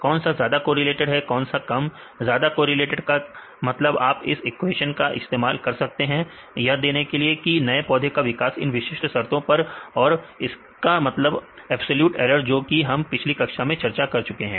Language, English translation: Hindi, Which highly correlated or less correlated highly correlated means you can use this equation; for giving this the growth of new plant with this particular conditions and this mean absolute error this also we discussed in the last class